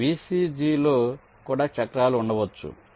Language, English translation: Telugu, so there can be cycles in the v c g also